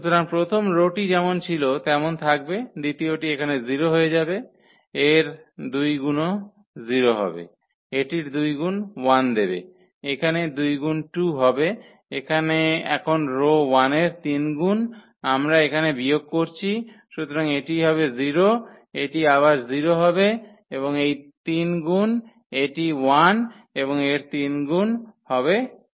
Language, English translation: Bengali, So, the first will first row will be as it is, the second one here will become 0, the two times of that this is also 0, two times this will give 1, here two times will get 2, here now the 3 times of the row 1 we are subtracting here so this will be 0, this will be again 0 and the 3 times this will be 1 and 3 times this will be 2